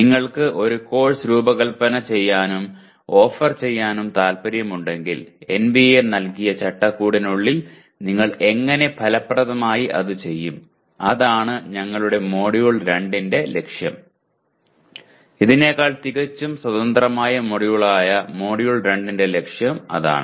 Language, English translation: Malayalam, So if you want to design and offer a course, how do you do it effectively within the framework given by NBA, that will be our goal for, that is the aim of Module 2 which will be a completely independent module than this